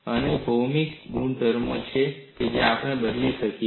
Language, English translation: Gujarati, And what are the geometric properties that we can change